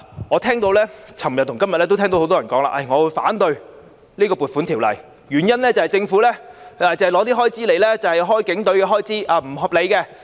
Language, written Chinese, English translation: Cantonese, 我在昨天和今天都聽到很多人說會反對《2020年撥款條例草案》，原因是政府的撥款用來支付警隊開支，那是不合理的。, I heard many people say yesterday and today that they opposed the Appropriation Bill 2020 because the Governments provisions are used to meet the expenditure of the Police Force and this in their view is unreasonable